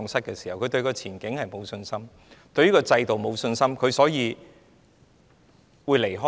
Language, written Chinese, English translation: Cantonese, 他們對前景失去信心，對制度沒有信心，所以他們打算離開。, They have lost their confidence in future and in the system so they plan to leave